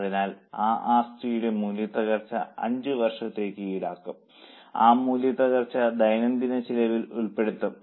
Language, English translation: Malayalam, So, we will charge depreciation on that asset for five years period and that depreciation is included on day to day cost